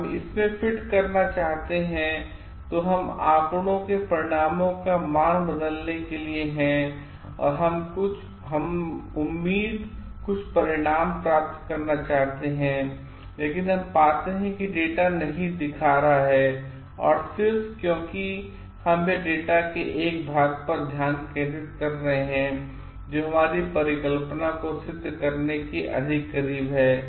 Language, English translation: Hindi, We want to fit into it, then we want to change the value of the results to data to get certain results that we expected, but we find that the data is not showing and datas we are just focusing on one part of the data because it is more close to proving our hypothesis